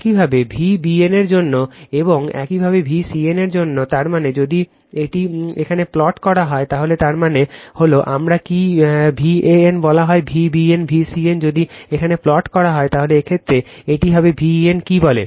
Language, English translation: Bengali, Similarly for V bn and similarly for V cn, that means, if you plot it here, so mean this is my your what you call V an, V bn, V cn if you plot it here, so in this case it will be your what you call V an right